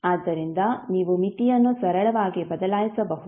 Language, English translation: Kannada, So, you can simply change the limit